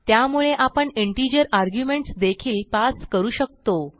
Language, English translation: Marathi, So here we can pass an integer arguments as well